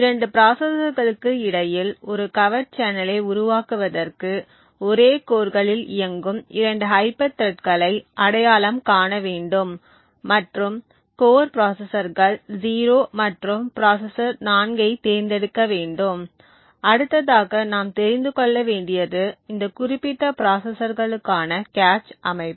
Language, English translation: Tamil, In order to create a covert channel between 2 processors what we would require is to identify 2 hyper threads which are running on the same core, so let us choose the core processors 0 and processor 4, the next thing we need to know is the cache structure for this particular processors